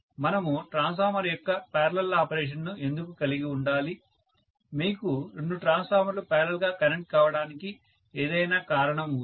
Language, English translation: Telugu, Why should we have parallel operation of transformer, is there any reason why you should have two transformers connected in parallel